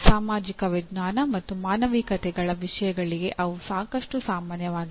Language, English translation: Kannada, They are quite common to subjects in social sciences and humanities